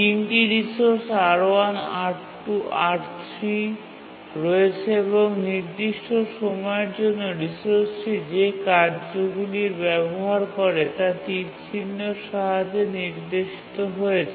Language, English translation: Bengali, There are three resources, R1, R2 and R3, and the tasks that use the resource for certain time is indicated by the number along the arrow